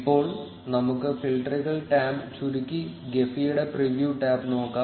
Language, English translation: Malayalam, Now, let us collapse the filters tab and look at the preview tab of Gephi